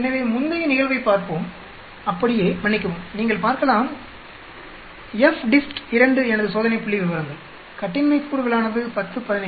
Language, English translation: Tamil, So, let us look at the previous case, as such sorry will see FDIST 2 is my test statistics, degrees of freedom is 10 , 15